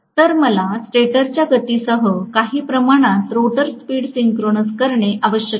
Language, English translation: Marathi, So, I am going to have to somehow synchronise the rotor speed with that of the stator speed